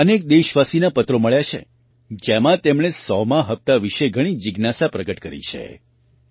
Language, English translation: Gujarati, I have received letters from many countrymen, in which they have expressed great inquisitiveness about the 100th episode